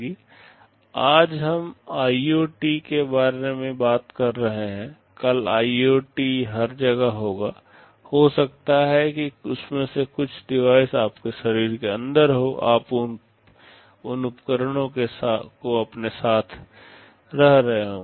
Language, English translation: Hindi, Today we are talking about IoTs, tomorrow IoT will be everywhere, maybe some of those devices will be inside your body, you will be carrying those devices along with you